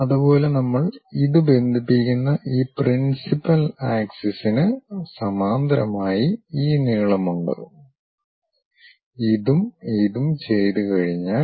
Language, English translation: Malayalam, Similarly, we have this length parallel to this principal axis we connect it, this one and this one once that is done